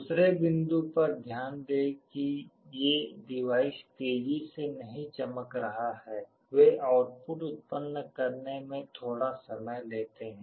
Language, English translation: Hindi, The other point you note is that these devices are not lightning fast; they take a little time to generate the output